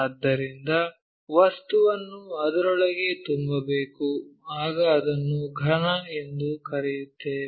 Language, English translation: Kannada, So, the material has to be filled inside that then only we will call it as solid